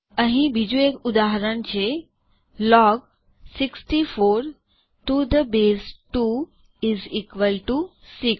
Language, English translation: Gujarati, Here is another example: Log 64 to the base 2 is equal to 6